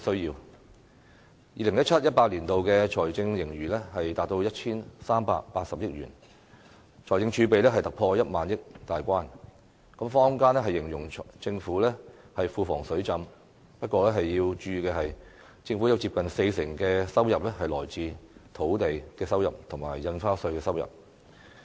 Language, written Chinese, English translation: Cantonese, 2017-2018 年度的財政盈餘達 1,380 億元，財政儲備突破1萬億元大關，坊間形容政府庫房"水浸"，不過要注意的是，政府有接近四成的收入是來自土地收益及印花稅。, This reflects that the current Government cares for peoples livelihood needs . A budget surplus of 138 billion was reported for 2017 - 2018 and our fiscal reserves surpassed the threshold of 1 trillion . Government coffers are described in the community as being awash in money but we need to note that some 40 % of government revenue comes from land premiums and stamp duties